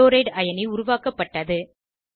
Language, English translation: Tamil, Chloride(Cl^ ) ion is formed